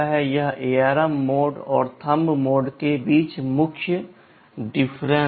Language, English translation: Hindi, This is the main difference between the ARM mode and the Thumb mode